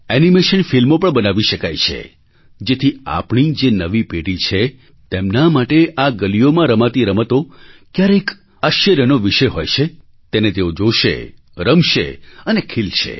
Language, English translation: Gujarati, Animation films can also be made so that our young generations for whom these games played in our streets are something to marvel about, can see, play for themselves and thus bloom